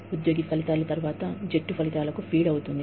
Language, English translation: Telugu, The employee outcomes, then feed into team outcomes